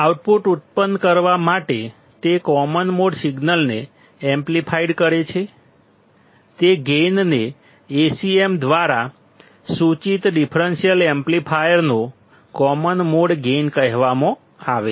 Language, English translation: Gujarati, The gain with which it amplifies the common mode signal to produce the output is called the common mode gain of the differential amplifier denoted by Acm